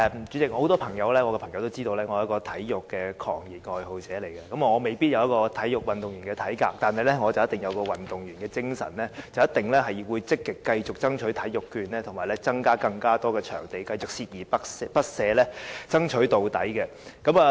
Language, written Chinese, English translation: Cantonese, 主席，我很多朋友都知道我是一個體育狂熱愛好者，我未必擁有體育運動員的體格，但卻肯定有運動員的精神，必定會繼續積極爭取體育券和增加更多場地，繼續鍥而不捨，爭取到底。, President many of my friends know that I am a sports fanatic . I may not have an athletic build but I definitely have the spirit of athletes . I will certainly continue to make active efforts to strive for the introduction of sports vouchers and for the building of more sports venues